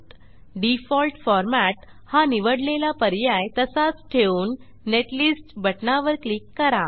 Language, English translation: Marathi, Keep Default format option checked and click on Netlist button